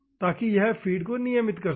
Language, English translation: Hindi, So, that it can regulate the feed